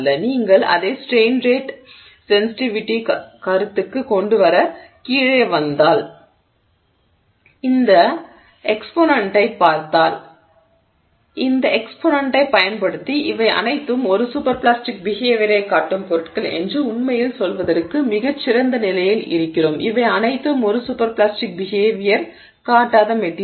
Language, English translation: Tamil, If you come down to bring it down to this train rate sensitivity concept and you look at this exponent using this exponent we are in a much better position to really say that these are all the materials that are showing a super plastic behavior these are all the materials that are not showing us super plastic behavior